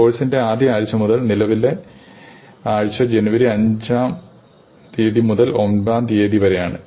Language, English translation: Malayalam, So, to the first week of the course is the current week which is January fifth to ninth